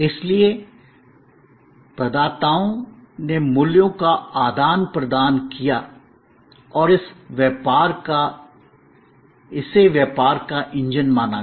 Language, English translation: Hindi, So, providers and seekers exchanged values and that was considered as the engine of business